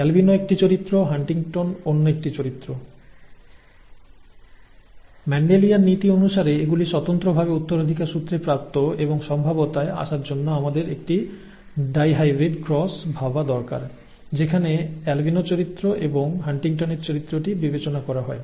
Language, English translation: Bengali, Albino is 1 characteristic, Huntington is another character, they are independently inherited according to Mendelian principles and to come up with the probability we need to consider a dihybrid cross in which albino character and HuntingtonÕs character are considered